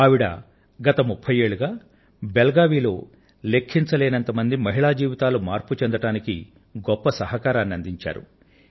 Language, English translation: Telugu, For the past three decades, in Belagavi, she has made a great contribution towards changing the lives of countless women